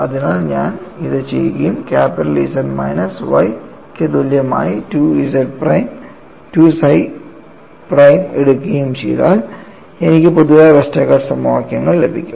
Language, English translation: Malayalam, So, if I do this and if I take 2 psi prime equal to capital Z minus Y, I get the generalised Westergaard equations